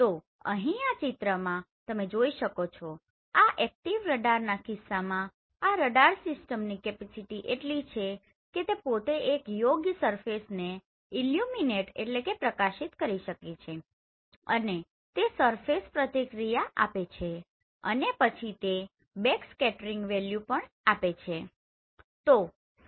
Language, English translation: Gujarati, So here in this figure you can see this is in case of active radar system where the system itself has a capability to illuminate this particular surface and the surface will react and then it will give you the backscattering value right